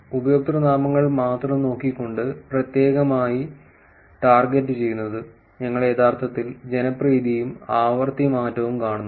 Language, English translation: Malayalam, Specifically targeting only looking at the usernames, we actually see popularity versus frequency change